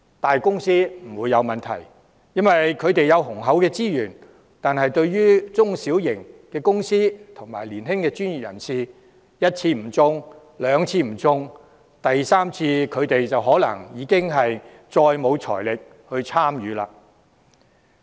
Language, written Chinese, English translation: Cantonese, 大公司不會有困難應付有關開支，因為他們有雄厚的資源，但對於中小型公司和年輕的專業人士，一次不中標、兩次不中標，第三次他們可能已再無財力參與。, While large companies will not have any difficulties paying the expenses given their abundant resources SMEs and young professionals may not have the financial resources to tender for the third time after making one or two unsuccessful attempts